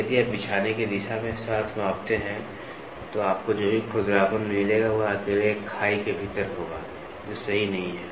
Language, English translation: Hindi, If you measure along the lay direction, the roughness whatever you get it will be within one trench alone that is not correct